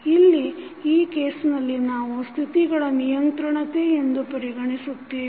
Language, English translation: Kannada, Here in this case, we considered states for the controllability